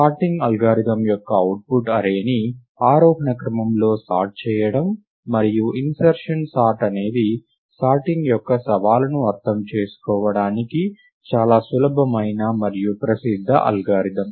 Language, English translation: Telugu, The output of sorting algorithm is to sort the array in ascending order, and insertion sort is a very simple and popular algorithm to understand the challenge of sorting